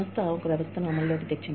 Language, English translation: Telugu, The organization put a system in place